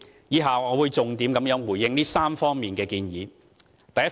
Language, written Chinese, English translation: Cantonese, 以下我會重點回應這3方面的建議。, In the following paragraphs I will respond mainly to the proposals in these three categories